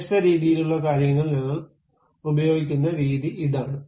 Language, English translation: Malayalam, This is the way we use different kind of things